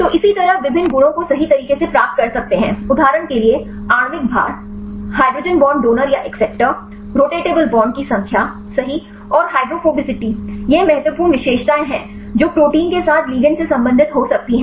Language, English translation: Hindi, So, likewise you can derive the various properties right for example, molecular weight hydrogen bond donors or acceptors, number of rotatable bonds right and the hydrophobicity, these are the important features which can relate the ligands with the protein